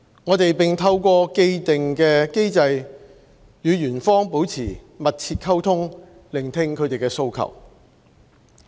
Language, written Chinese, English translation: Cantonese, 我們並透過既定機制與員方保持密切溝通，聆聽他們的訴求。, In addition with the aid of the existing mechanism we maintain close communication with the employees listening to their needs and wants